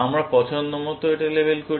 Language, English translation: Bengali, Let us label this arbitrarily